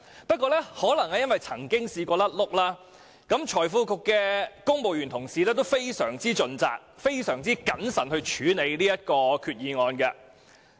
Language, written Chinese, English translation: Cantonese, 不過，可能正正因為曾出意外，財經事務及庫務局的公務員同事都格外盡責，慎重處理這項決議案。, However perhaps precisely because of the past blunder the civil service staff of the Financial Services and the Treasury Bureau are particularly responsible and they handle this Resolution cautiously